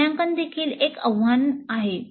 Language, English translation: Marathi, And assessment is also a challenge